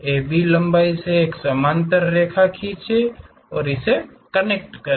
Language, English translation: Hindi, Draw a parallel line to AB line connect it